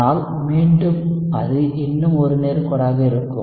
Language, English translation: Tamil, But again it will still be a straight line